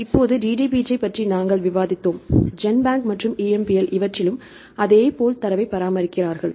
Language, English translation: Tamil, Now, we discussed about DDBJ, similar data are maintain in the GenBank and EMBL right